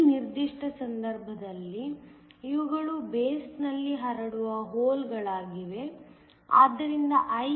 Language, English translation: Kannada, In this particular case, these are holes diffusing into the base, so IEo